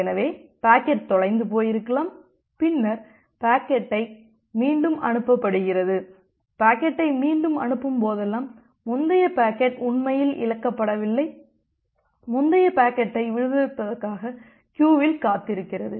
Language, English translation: Tamil, So, I think that well the packet is probably got lost and then I retransmit the packet again, but whenever I am retransmitting the packet again note that the earlier packet was actually not lost rather the earlier packet was just waiting in a queue to get it delivered